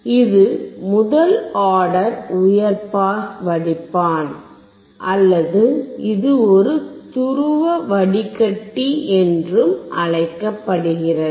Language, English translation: Tamil, This is first order high pass filter or it is also called one pole filter